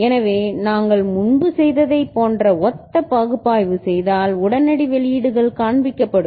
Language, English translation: Tamil, So, similar analysis like what we had done before, if you do we shall see that and the immediate outputs are shown